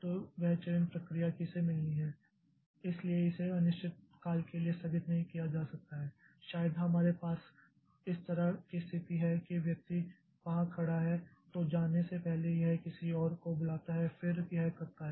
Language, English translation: Hindi, So, that selection process like who gets next so that cannot be postponed indefinitely or maybe we have a situation like this that the person standing here then this person before going so they call somebody else and then does it